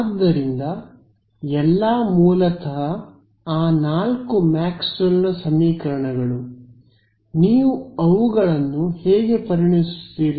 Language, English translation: Kannada, So, all basically those four Maxwell’s equations, how you treat them